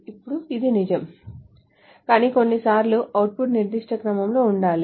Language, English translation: Telugu, Now which is true, but sometimes the output needs to be in a particular order